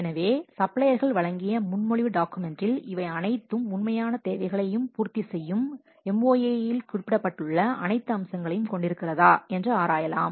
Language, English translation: Tamil, So, the proposal documents provided by the suppliers, they can be scrutinized to see if they contain all the features as mentioned in the MOA which are satisfying all the original requirements